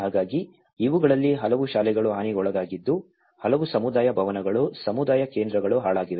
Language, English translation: Kannada, So, many of these schools were damaged and many of the community halls, community centers have been damaged